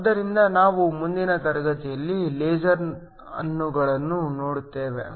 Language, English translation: Kannada, So, we look at lasers in the next class